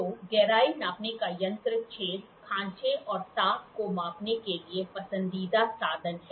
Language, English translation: Hindi, So, the depth gauge is preferred instrument for measuring hole, grooves and recesses